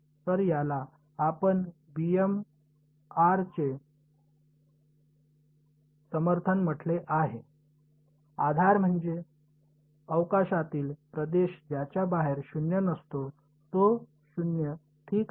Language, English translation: Marathi, So, this is we called it the support of b m of r; support means, the region in space where it is non zero outside it is 0 ok